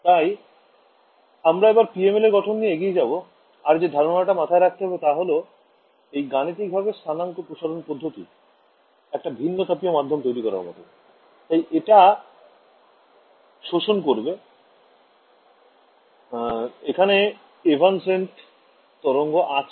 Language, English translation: Bengali, So, we continue with our development of the PML, and the concept that we have to keep in mind is that coordinate stretching is mathematically the same as generating a anisotropic medium therefore, it absorbs right it has evanescent waves ok